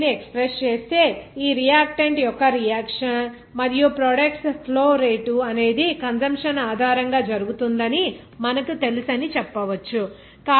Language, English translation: Telugu, If we express this you know that happening of this reaction reactant and also products flow rate based on this consumption and also you can say that you know generation